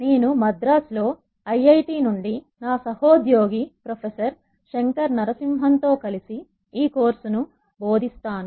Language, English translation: Telugu, I will be teaching this course with my colleague professor Shankar Narasimhan also from IIT, Madras